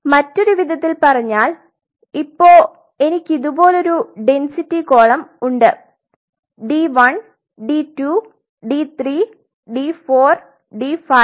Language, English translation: Malayalam, So, in other words if I have a density column like this of say d 1 d 2 d 3 d 4 d 5 d 6 d 7, d 1 d 2